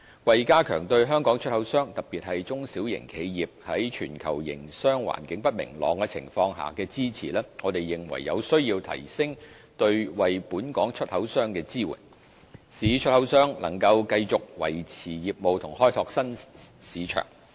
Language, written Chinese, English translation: Cantonese, 為加強對香港出口商，特別是中小型企業，在全球營商環境不明朗的情況下的支持，我們認為有需要提升對本港出口商的支援，使出口商能夠繼續維持業務及開拓新市場。, To strengthen our support for Hong Kong exporters particularly small and medium enterprises in light of the uncertainties in the global business environment we need to provide our exporters with further support to enable them to sustain their business and open new markets